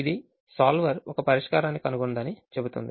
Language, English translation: Telugu, it'll say that solver found a solution